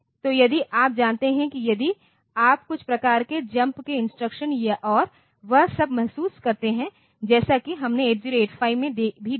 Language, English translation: Hindi, So, that you know if you feel some sort of jump instructions and all that, as we see as we have seen in 8 0 8 5 as well